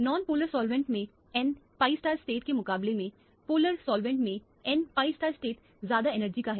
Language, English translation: Hindi, The n pi star state in the polar solvent is much higher energy compared to the n pi star state in the non polar solvent